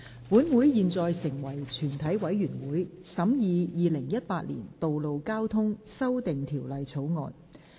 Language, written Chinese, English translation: Cantonese, 本會現在成為全體委員會，審議《2018年道路交通條例草案》。, Council now becomes committee of the whole Council to consider the Road Traffic Amendment Bill 2018